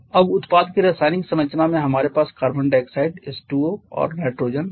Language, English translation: Hindi, Now in the chemical composition of the product we have carbon dioxide H2O and nitrogen